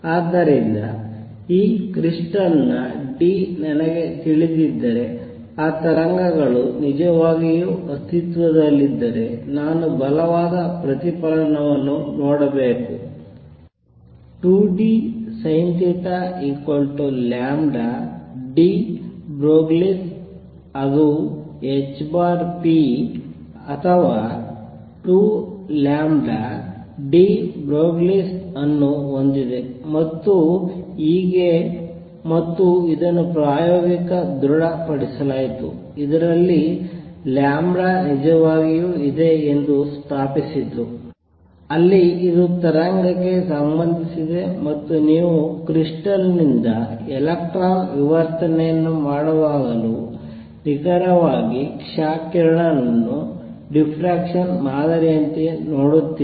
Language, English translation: Kannada, So, if those waves really exist if I know d of this crystal, I should see a strong reflection of 2 d sin theta equals lambda de Broglie, which has h over p or 2 lambda d Broglie and so on and this was confirmed experimentally which established that lambda indeed is there, there is a wave associated and you see exactly x ray like diffraction pattern even when you do electron diffraction from crystal